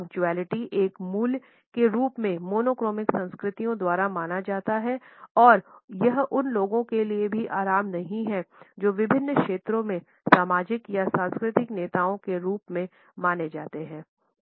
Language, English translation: Hindi, Punctuality is considered by monochronic cultures as a value and it is not relaxed even for those people who are considered to be as social or cultural leaders in different fields